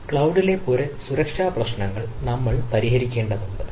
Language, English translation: Malayalam, so broad scope address security issues in the cloud we need to address